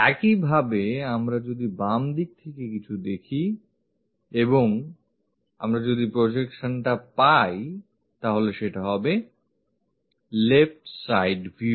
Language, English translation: Bengali, If we are observing something from left hand side and projection if we can get it, that will be left side view